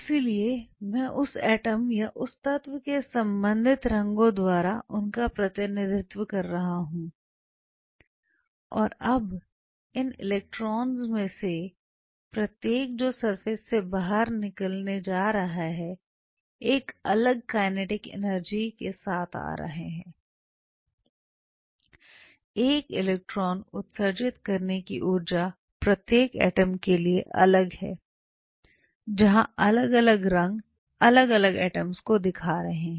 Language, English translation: Hindi, So, I am representing them by the respective colors of that atom or of that element and now each one of these electrons which are ejected out from the surface are coming with a different kinetic energy, the energy of emitting an electron is different from different atom, where the different atoms are of the different colours